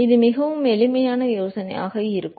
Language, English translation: Tamil, It will be very simple idea